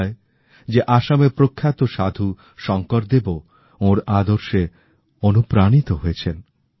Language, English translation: Bengali, It is said that the revered Assamese saint Shankar Dev too was inspired by him